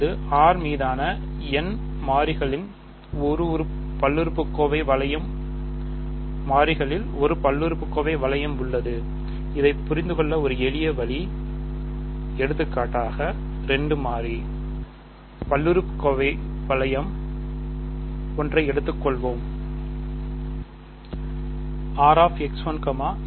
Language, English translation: Tamil, So now, we have a polynomial ring in n variables over R and one easy way to think of this for example, let say 2 variable polynomial ring, I want to consider